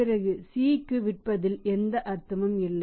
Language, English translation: Tamil, Then there is no point to sell to C that is okay accepted